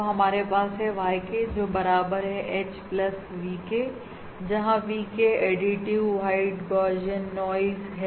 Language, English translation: Hindi, So we have YK equals H plus VK, where VK is additive white Gaussian noise